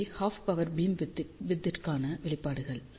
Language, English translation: Tamil, So, these are the expressions for half power beamwidth